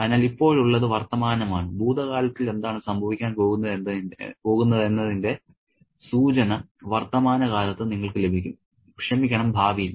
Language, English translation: Malayalam, So, now is the present and in the present you will get a hint of what's going to happen in the past, in the, I'm sorry, in the future